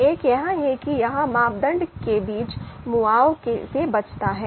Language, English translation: Hindi, So one is that avoid compensation between criteria